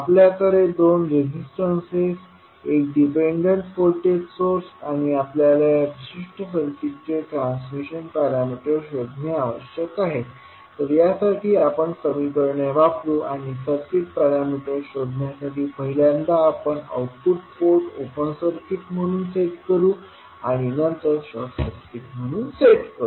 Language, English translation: Marathi, Let us see there is one circuit as given in the figure, we have two resistances and one dependent voltage source and we need to find out the transmission parameters for this particular circuit so we will use the equations and we will set first voltage the output port as open circuit and then short circuit to find out the circuit parameters